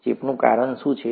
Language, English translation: Gujarati, What causes infection